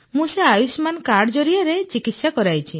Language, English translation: Odia, I have got the treatment done with the Ayushman card